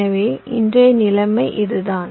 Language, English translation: Tamil, so this is what the scenario is today